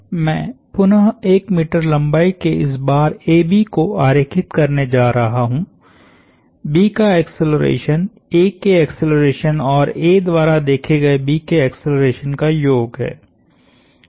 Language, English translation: Hindi, Again I am going to draw this bar AB of length 1 meter, acceleration of B is acceleration of A plus acceleration of B as observed by A